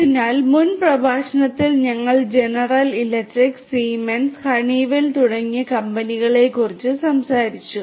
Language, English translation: Malayalam, So, in the previous lecture we talked about the companies like General Electric, Siemens and Honeywell